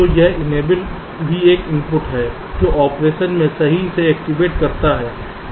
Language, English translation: Hindi, so this enable is also an input which activates the operation